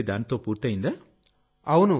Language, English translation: Telugu, and your work is done with it